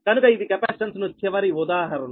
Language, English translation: Telugu, so this is the last example for capacitance one